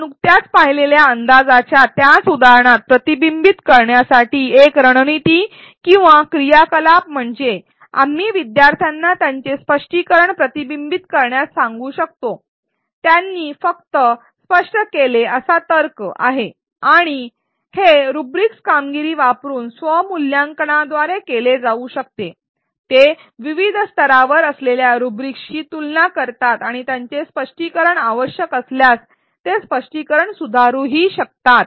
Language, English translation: Marathi, A strategy or activity for reflection within the same example of prediction that we just saw is that we can ask students to reflect on their explanation, the reasoning that they just articulated and this can be done by a self assessment using rubrics performance rubrics which have various levels of performance and learners can self evaluate whether their explanation how it compares with the rubric at various levels and they if needed they can revise the explanation